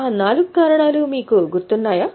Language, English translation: Telugu, Do you remember those four reasons